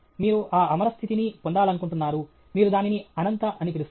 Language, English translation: Telugu, You want to attain that immortal status okay; you call it as anantha